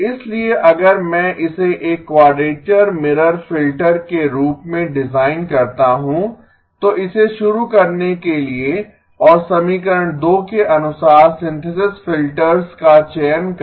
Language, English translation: Hindi, So if I design it to be a quadrature mirror filter to begin with and choose the synthesis filters according to equation 2